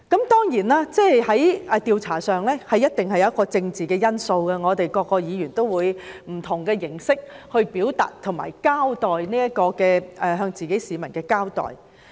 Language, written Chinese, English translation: Cantonese, 當然，調查工作一定會有政治因素，每位議員都會以不同的形式表達，以及向自己的選民交代。, An inquiry would certainly involve some political factors . Each Member would make representations in different ways and be accountable to their voters